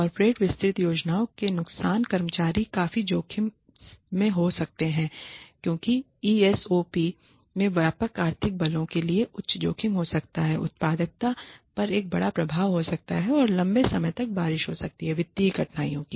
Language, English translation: Hindi, The disadvantages of corporate wide plans are employees may be at a considerable risk as in ESOPs there could be a high exposure to macroeconomic forces, there could be a large effect on productivity and there could be long rain long run financial difficulties